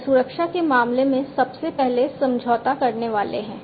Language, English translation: Hindi, They are the first to be compromised in terms of security